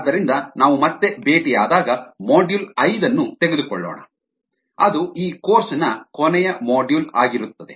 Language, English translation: Kannada, so when we meet again in a ah, when we meet next, we will take a module five, which will be the last module for this course